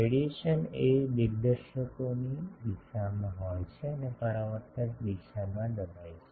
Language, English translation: Gujarati, Radiation is in the direction of the directors and suppressed in the reflector direction